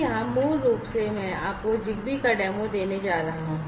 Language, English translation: Hindi, So here, basically I am going to give you a demo of the ZigBee